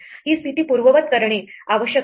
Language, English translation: Marathi, This position must be undone